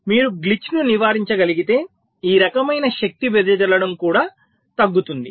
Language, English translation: Telugu, so if you can avoid glitch, this kind of power dissipation will also go down